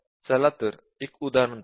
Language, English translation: Marathi, Now, let us look at that